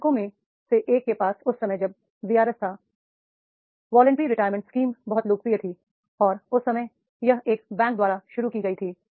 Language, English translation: Hindi, One of the banks had that time when the VRS was voluntary retirement scheme was very popular and that time that was introduced by one of the banks